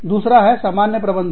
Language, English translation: Hindi, The other one is, common management